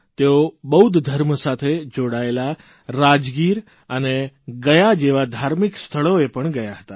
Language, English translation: Gujarati, He also went to Buddhist holy sites such as Rajgir and Gaya